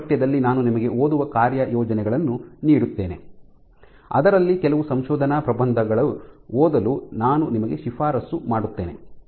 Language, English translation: Kannada, So, in this course I will give you reading assignments in which I would recommend you to read certain papers